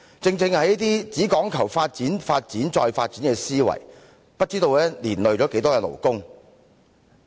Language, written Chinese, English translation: Cantonese, 正正是這種只講求發展、發展、再發展的思維，不知道連累了多少勞工。, It is exactly this mindset of development development and again development that has done so much harm to so many labourers